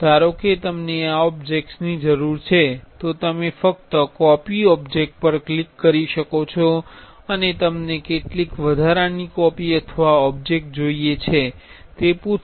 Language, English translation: Gujarati, Suppose, you need this object then you can just click copy object and how many extra copies or object you want it will ask